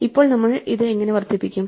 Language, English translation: Malayalam, Now how do we increment this